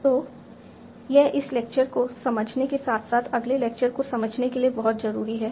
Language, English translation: Hindi, So this is very central to understanding this lecture as well as the next lecture